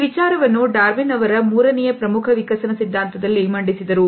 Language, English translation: Kannada, This idea was presented by Darwin in his third major work of evolutionary theory